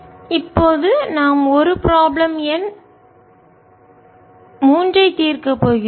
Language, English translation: Tamil, so now we are going to solve a problem, number three